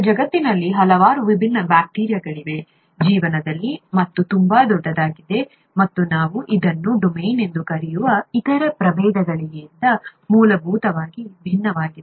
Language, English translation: Kannada, And there are so many different bacteria in the world, in life and so large that and so fundamentally different from other varieties that we call that a domain